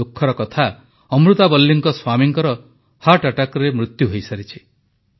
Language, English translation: Odia, Amurtha Valli's husband had tragically died of a heart attack